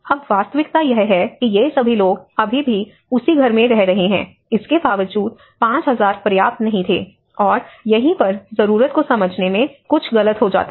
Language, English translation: Hindi, So, now the reality is all these people are still living in the same house despite that 5000 was not sufficient, and this is where something goes wrong in understanding the need